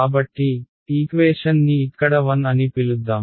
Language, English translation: Telugu, So, let us call this equation 1 over here